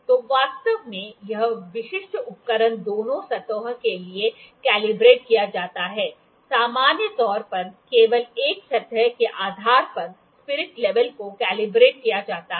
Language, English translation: Hindi, So, actually this specific instrument is calibrated for both the surfaces, in general spirit level is calibrated based on only one surface